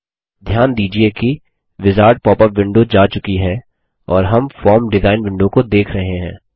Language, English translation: Hindi, Notice that the wizard popup window is gone and we are looking at the form design window